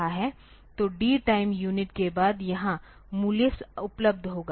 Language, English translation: Hindi, So, after D time unit the value will be available here